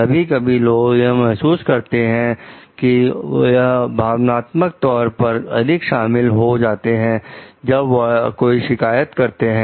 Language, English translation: Hindi, So, how do we do sometimes people feel they are more emotionally involved when making a complaint